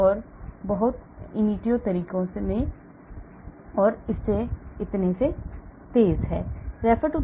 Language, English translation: Hindi, it is much faster than ab initio methods and so on